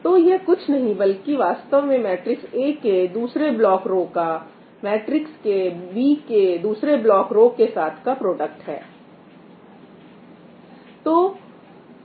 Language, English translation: Hindi, So, it is actually nothing but the product of second block row of matrix A with the second block row of matrix B